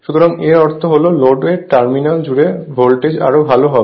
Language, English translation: Bengali, So that means, voltage across the terminal of the load will be better right